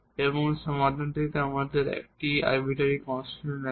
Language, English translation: Bengali, And we are getting the solution which is also having one arbitrary constant